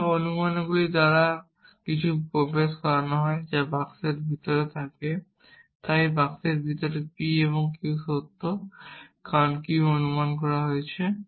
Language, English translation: Bengali, So, anything that is entailed by these assumptions are inside the boxes, so p and q is true inside this box because p has been assume q has been assume and because this has been